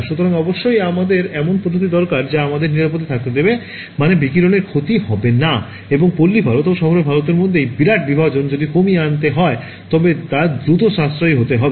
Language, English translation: Bengali, So, of course, we need methods that are we have to be safe means no radiation damage, and if this big divide between rural India and urban India has to be bridged then it has to be inexpensive quick